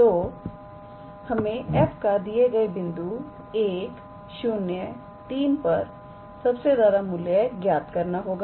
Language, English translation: Hindi, So, we have to calculate the maximum value of f at the point, 1, 0, 3